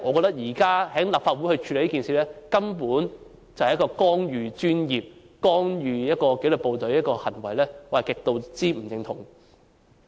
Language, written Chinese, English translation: Cantonese, 所以，現時在立法會處理這件事，根本是一項干預專業及干預紀律部隊的行為，我極不認同。, Therefore the handling of this matter by the Legislative Council today is tantamount to interfering professionalism and the disciplined services which I strongly disagree